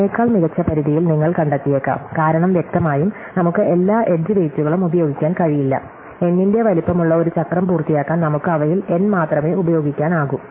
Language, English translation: Malayalam, You might even find a better bound than that, because obviously, we cannot use all the edge weights, we can only use N of them to complete a cycle of size n